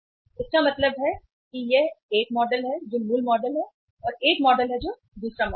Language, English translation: Hindi, So it means one model is this model which is the original model and one model is the another model which is the another model